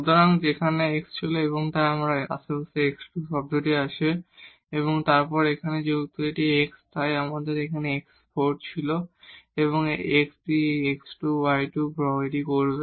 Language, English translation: Bengali, So, here the x was there, so we have x square term and then here since this is x, so x 4 will be there and this x will make this x square y square